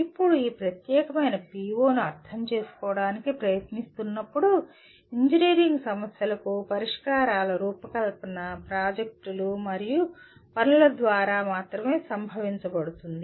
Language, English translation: Telugu, Now trying to just kind of understand this particular PO, designing solutions for engineering problems can only be experienced through projects and assignments